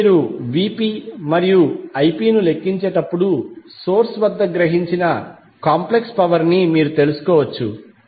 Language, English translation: Telugu, Now when you have Vp and Ip calculated, you can find out the complex power absorbed at the source